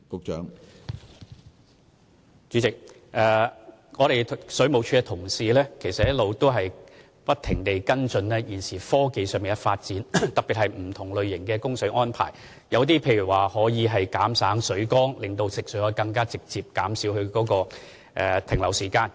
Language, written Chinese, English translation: Cantonese, 主席，水務署的同事一直不停跟進現時科技上的發展，特別是不同類型的供水安排，例如減省水缸，令食水供應可以更為直接，從而減少食水停留在水管的時間。, President colleagues from WSD have been paying attention to developments in technology especially various types of water supply arrangements such as doing away with water tanks to supply potable water more directly and thus reduce the time potable water sits in water mains